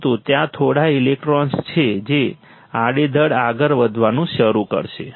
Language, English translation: Gujarati, But there are few electrons that will start moving randomly